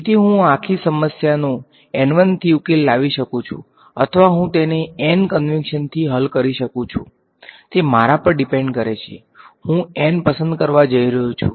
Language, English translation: Gujarati, So, I could solve the whole problem with n 1 or I could solve it with n convention depends on me ok, I am going to choose n